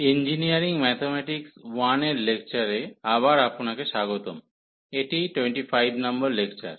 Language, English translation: Bengali, So, welcome back to the lectures on Engineering Mathematics 1, and this is lecture number 25